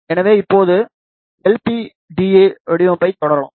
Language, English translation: Tamil, So, now let us proceed with the design of LPDA